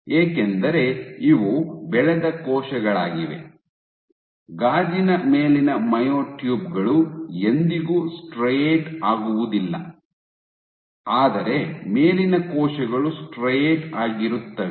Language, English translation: Kannada, So, because these cells are cultured the bottom myotubes on glass cells never striate, but the top cells straight